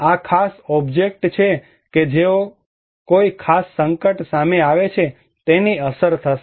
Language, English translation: Gujarati, This particular object that is exposed to a particular hazard will be impacted